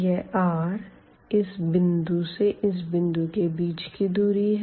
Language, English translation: Hindi, So, r is precisely the distance from the origin to this point